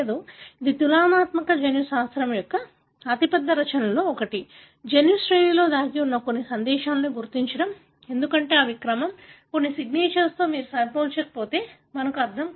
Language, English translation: Telugu, So, one of the biggest contributions of the comparative genomics is to identify certain messages that are hidden in the genome sequence, because these are sequence, certain signatures we do not understand unless you compare